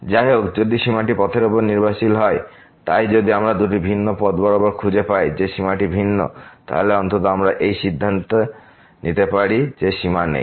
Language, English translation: Bengali, However, if the limit is dependent on the path, so if we find along two different paths that the limit is different; then, at least we can conclude that limit does not exist